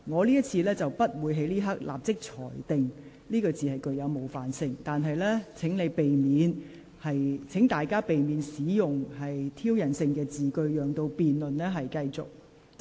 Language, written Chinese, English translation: Cantonese, 今次我不會立即裁定此用詞具冒犯性，但請議員避免使用具挑釁性的言詞，讓辯論能暢順進行。, I will not immediately rule that this term is offensive . Would Member please refrain from using provocative words to allow the smooth progress of the debate